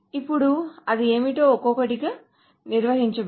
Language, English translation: Telugu, Now let us define one at a time